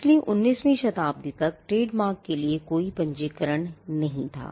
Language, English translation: Hindi, So, till the 19th century there was no registration for trademarks